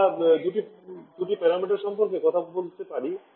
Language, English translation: Bengali, In terms of environmental issues we talk about two parameters